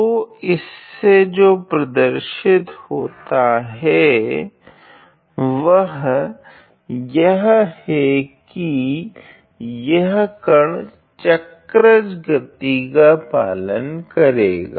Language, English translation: Hindi, So, what it shows is that this particular particle is going to follow a cycloid motion